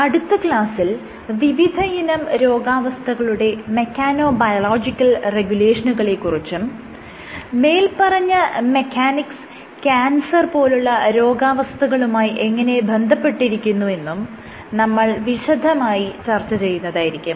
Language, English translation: Malayalam, In the next class, we will get started with mechanobiological regulation in case of diseases will start with cancer and how mechanics is relevant to cancer